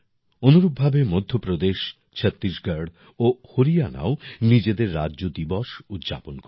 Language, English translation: Bengali, Similarly, Madhya Pradesh, Chhattisgarh and Haryana will also celebrate their Statehood day